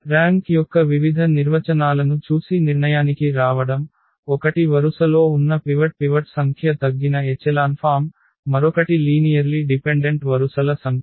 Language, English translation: Telugu, Coming to the conclusion what we have seen the various definitions of the rank, one was the number of pivots in the in the row reduced echelon form, the other one was the number of linearly independent rows